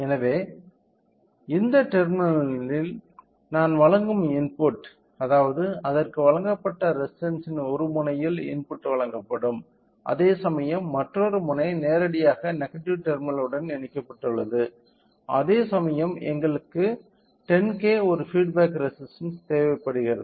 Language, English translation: Tamil, So, input I will be providing at this terminal; so, that means, to the input one end of the resistance it is provided with it will be providing with a input whereas, other end is directly connected to the negative terminal whereas, whereas, we require a feedback resistance of 10K